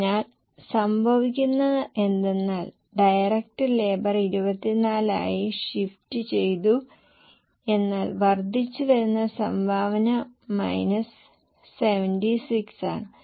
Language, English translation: Malayalam, So, what happens is direct labor shifted is 24 but the incremental contribution is minus 76